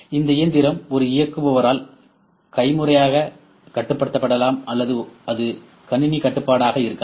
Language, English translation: Tamil, This machine maybe manually controlled by an operator or it may be computer control